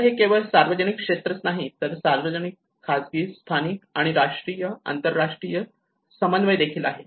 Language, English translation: Marathi, So it is both not only the public sector but also the public private, local and national and international coordination